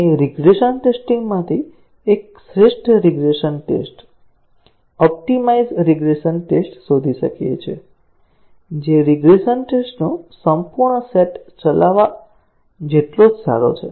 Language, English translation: Gujarati, We can find out an optimum regression test, optimized regression test, out of the regression tests, which are almost as good as running the full set of regression tests